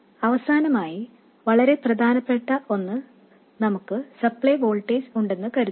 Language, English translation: Malayalam, And finally, a very important thing, we have the supply voltage